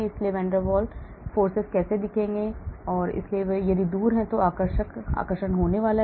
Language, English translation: Hindi, so, how will the van der Waal look like, so if they are far away there is going to be attraction